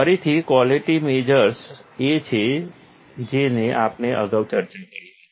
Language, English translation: Gujarati, Again, the quality measures are same which we had discussed earlier